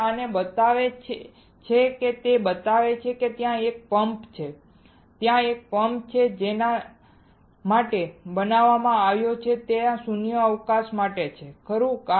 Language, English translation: Gujarati, It shows this one it shows there is a pump there is a pump that is created for that is there is there for creating vacuum, right